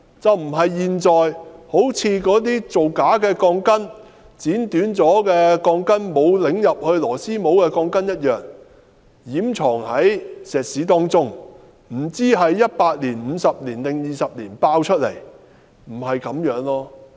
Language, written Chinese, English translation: Cantonese, 事情不應像現在那些造假的鋼筋、被剪短的鋼筋、沒有旋入螺絲帽的鋼筋般，掩藏在混凝土內，我們不知問題會否在100年、50年或20年爆發，這並非應有做法。, The incident should not be covered up as in the present cases of falsified reinforcements covered by concrete steel reinforcement bars having been cut short and couplers not secured for we do not know whether there will be problems in 100 years 50 years or 20 years . This is not the proper approach